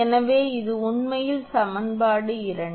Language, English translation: Tamil, So, this is actually equation 2